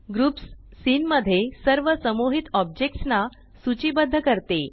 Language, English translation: Marathi, groups lists all grouped objects in the scene